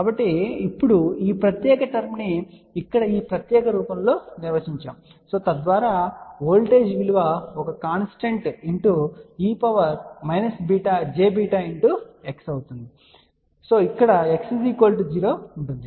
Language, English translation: Telugu, So, now, this particular term is defined in this particular form here so that voltage is some constant and e to the power minus j beta x term comes because x is equal to 0 over here